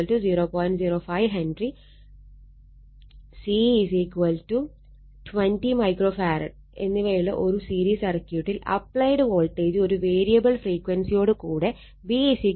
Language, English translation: Malayalam, 05 Henry, C is 20 micro farad has an applied voltage V is equal to 100 angle 0 volt with a variable frequency